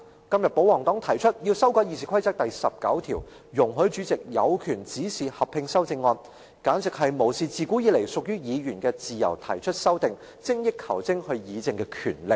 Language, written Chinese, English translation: Cantonese, 今天保皇黨提出要修改《議事規則》第19條，容許主席有權指示合併修正案，簡直無視自古以來屬於議員自由提出修正案，精益求精議政的權利。, Today however the pro - Government camp seeks to amend RoP 19 to give the President the power to direct amendments to be combined . This is a total disregard for the traditional right of Members to propose amendments to refine the quality of the debate on policies